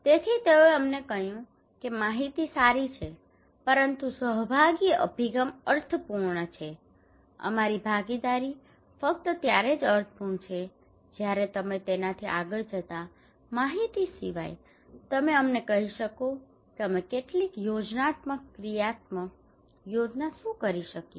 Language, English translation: Gujarati, So they said to us that information is fine but a participatory approach is meaningful, our participation is meaningful only when apart from informations you go beyond that you can tell us that what we can do some plan actionable plan